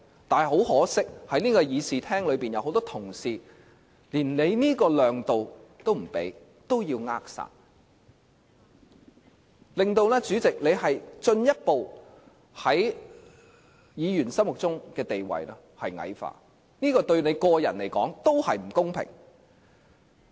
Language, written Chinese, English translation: Cantonese, 但很可惜，在這個議事廳內有很多同事，連你想給予量度也不可，要扼殺，令主席在議員心目中的地位進一步矮化，這對你個人來說也不公平。, But sadly many Members in the Chamber do not allow you to show any breadth of mind and even want to stifle it . This will further belittle your status in our hearts . This is not fair to you either